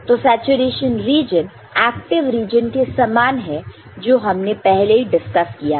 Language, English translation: Hindi, So, the saturation region is similar to active region in our earlier discussion